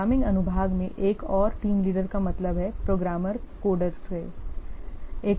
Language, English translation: Hindi, Another team leader, the programming section, I mean the programmers coders are there